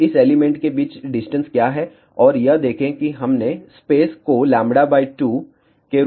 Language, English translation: Hindi, Now, what is the distance between this element and this see we had taken spacing as lambda by 2